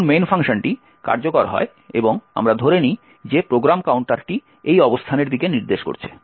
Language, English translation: Bengali, When the main function gets executed and let us assume that the program counter is pointing to this particular location